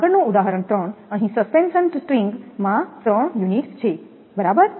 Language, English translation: Gujarati, Next one, so example 3, here that is suspension string has three units right